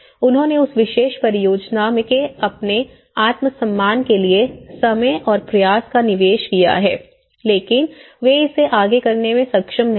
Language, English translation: Hindi, They have invested time and effort for their self esteem of that particular project but they were not able to do it further